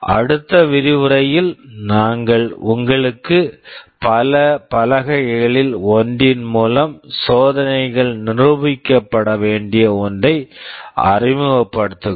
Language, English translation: Tamil, In the next lecture we shall be introducing you to one of the boards based on which many of the experiments shall be demonstrated